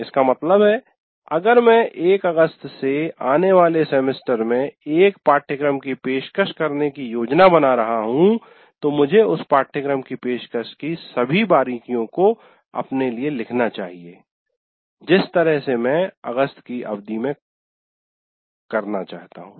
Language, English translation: Hindi, That means if I am planning to offer a course, let's say in the coming semester from August 1st, I should write for myself all the specifics of the offering of that course the way I want to do from the August term